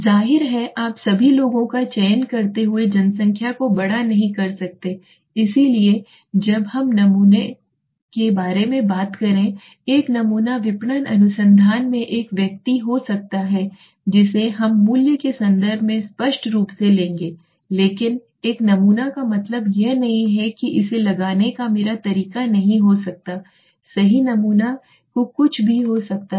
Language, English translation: Hindi, Obviously you cannot the population being larger selecting the right people so when we are talking about a sample a sample could be a person in marketing research we will obviously take in terms of value but a sample does not mean people only my way of putting it might not be correct sample could be anything